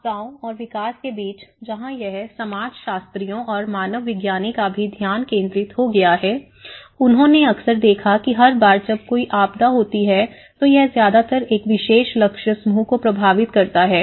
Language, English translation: Hindi, Between the disasters and the development where this it has also become a focus of the sociologists and anthropologists, they often observed that every time a disaster happens, it is affecting mostly a particular target group